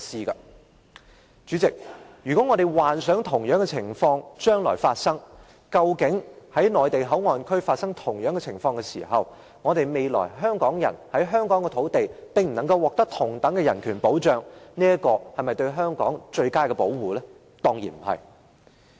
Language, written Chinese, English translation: Cantonese, 代理主席，我們幻想一下，如果將來在內地口岸區發生同樣的情況時，香港人在香港的土地上不能獲得同等的人權保障，這是否對香港最佳的保護？, From the angle of Hongkongers such things were unimaginable . Deputy Chairman let us imagine that the same situation takes place in MPA in the future and Hongkongers cannot receive protection of human rights equivalent to that on the land of Hong Kong . Is this the best protection for Hong Kong?